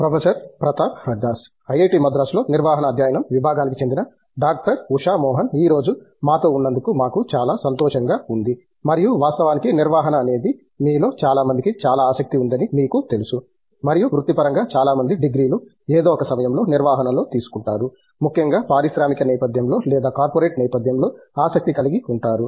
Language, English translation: Telugu, Usha Mohan from the Department of Management Studies here at IIT Madras and of course, the management is something that you know a lot of people are very interested in and it’s you know at least professionally a lot of people pick up degrees in management at some point or the other, especially in an industrial setting or a corporate setting